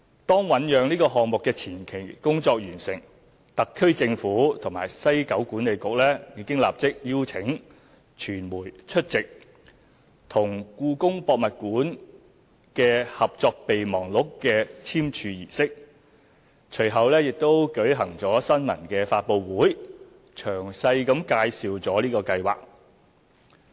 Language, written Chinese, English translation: Cantonese, 當醞釀項目的前期工作完成，特區政府和西九管理局已經立即邀請傳媒出席與故宮博物院的《合作備忘錄》的簽署儀式，隨後並舉行新聞發布會，詳細介紹計劃。, Soon after the preliminary work for the formulation of ideas was completed the SAR Government and WKCDA invited the media to attend the signing ceremony and a press conference was held subsequently to introduce the project in detail